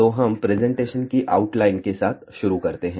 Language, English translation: Hindi, So, let us start with outline of presentation